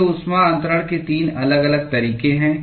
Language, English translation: Hindi, These are the 3 different modes of heat transfer